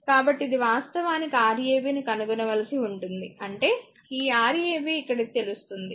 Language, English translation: Telugu, So, this actually you have to find Rab means these Rab here this you will be know this one you will know